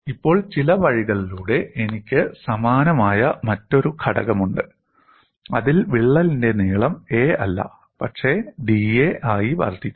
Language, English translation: Malayalam, Now, by some means, I have another component which is very similar, where in the crack length is not a, but it is incrementally increased to d a